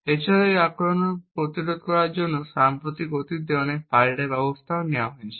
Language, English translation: Bengali, Also, there have been many countermeasures that have been developed in the recent past to prevent this attack